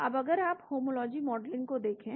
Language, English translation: Hindi, Now, if you look at homology modelling